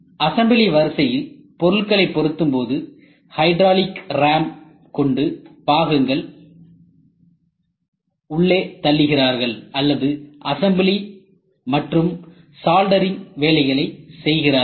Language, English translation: Tamil, So In fact, when the placing of parts and then they the hydraulic ramp to push the part inside or they just do assembly and do soldering along the assembly line